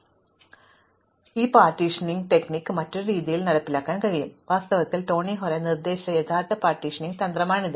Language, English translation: Malayalam, So, as I said this partitioning strategy can also be implemented in a different way and in fact, this is the original partitioning strategy proposed by Tony Hoare